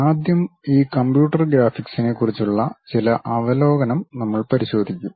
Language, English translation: Malayalam, To begin with that first we will look at some overview on these computer graphics